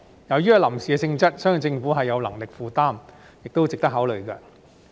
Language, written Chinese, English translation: Cantonese, 由於屬臨時性質，相信政府有能力負擔，亦是值得考慮的。, Given its temporary nature I believe the Government can afford it and it is also worth considering